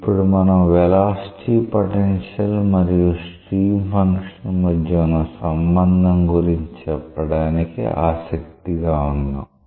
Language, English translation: Telugu, So, now, we are interested say about a relationship between the velocity potential and the stream function